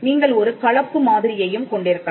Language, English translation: Tamil, You could also have a mixed model